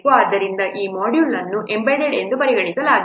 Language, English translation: Kannada, So this module will be treated as embedded